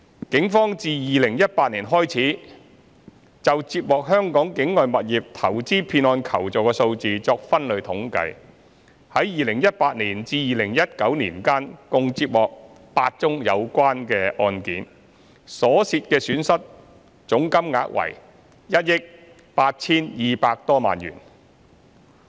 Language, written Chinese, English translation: Cantonese, 警方自2018年開始就接獲香港境外物業投資騙案求助的數字作分類統計，在2018年至2019年間，共接獲8宗有關案件，所涉損失總金額為1億 8,200 多萬元。, The Police have been maintaining the statistics of non - local property investment deception cases it received since 2018 . In 2018 and 2019 a total of eight relevant cases were received involving a total loss of around 182 million